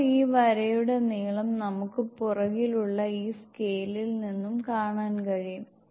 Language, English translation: Malayalam, Now the length of this line we can see from behind, from this scale